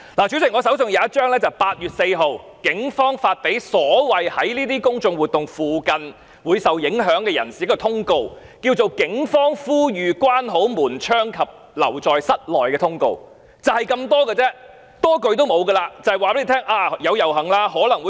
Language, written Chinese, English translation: Cantonese, 主席，我手上有一張通告，是警方在8月4日發給所謂"在這些公眾活動附近會受影響的人士"的，叫作"警方呼籲關好門窗及留在室內"的通告，內容就是這樣，多一句也沒有。, President the circular I am holding was issued by the Police on 4 August to persons affected by public order events in the vicinity . The circular is captioned to the effect Polices appeal to keep windows closed and to stay indoors yet the circular just includes this line with no other content